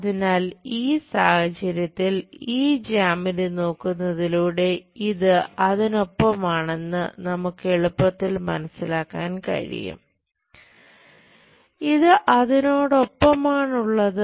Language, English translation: Malayalam, So, in this case by looking at this geometry, we can easily sense that this one accompanied by that